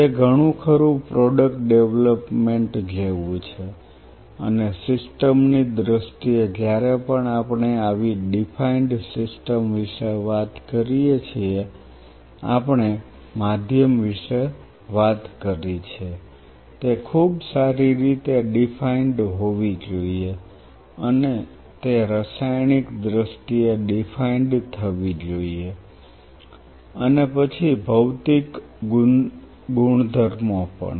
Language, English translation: Gujarati, It is more or less like product development, and in terms of the system we talked about whenever we talk about such a defined system, we talked about medium it should be very well defined and it should define in terms of chemically it is physical properties then we have substrate again same way chemically, physically and surface properties